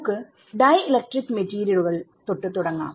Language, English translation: Malayalam, So, we will start with dielectric materials ok